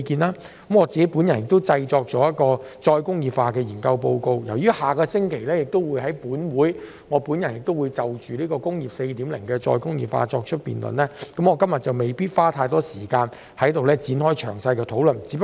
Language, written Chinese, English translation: Cantonese, 我製作了一份再工業化研究報告，但因我下星期會在本會就"工業 4.0" 再工業化提出辯論，我今天不會在此多花時間詳細討論。, I have prepared a study report on re - industrialization but I am not going to go through it in detail today because I will propose a motion on re - industrialization under Industry 4.0 for debate in this Council next week